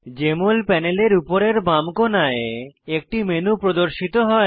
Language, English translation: Bengali, A menu appears on the top left corner of the Jmol panel